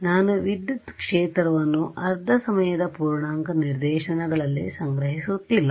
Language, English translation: Kannada, I am not storing electric field at half time integer instances